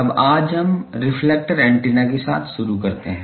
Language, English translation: Hindi, Now, today we start with the reflector antenna